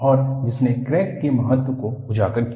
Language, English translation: Hindi, And, that alerted the importance of a crack